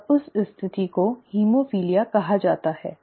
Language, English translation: Hindi, And that condition is actually called haemophilia